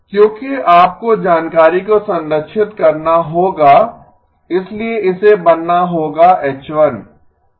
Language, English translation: Hindi, Because you must preserve the information, so this would have to become H1